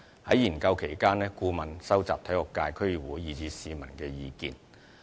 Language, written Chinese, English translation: Cantonese, 在研究期間，顧問公司會收集體育界、區議會，以至市民的意見。, In the course of study the consultancy company will gather views from members of the sports sector District Councils as well as members of the public